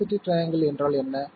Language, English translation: Tamil, What is the velocity triangle